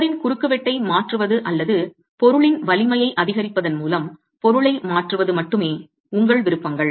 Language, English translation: Tamil, Your only options are change the wall cross section or change the material by increasing the strength of the material